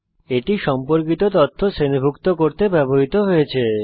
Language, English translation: Bengali, It is used to group related information together